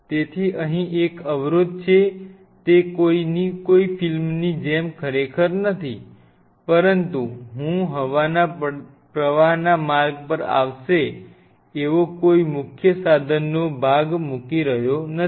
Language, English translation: Gujarati, So, there is a blockage here it is it is not really like in a movie, but I am not putting any of the major piece of instrument which will come on the way of the air current